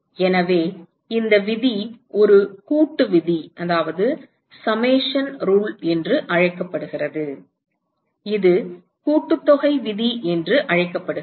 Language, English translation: Tamil, So, this rule is called a summation rule, this is called the summation rule